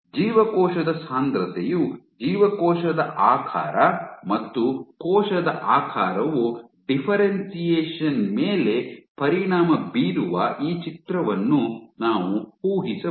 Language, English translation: Kannada, Is it possible, So, imagine this picture that cell density actually impacts the cell shape and cell shape then impacts the differentiation status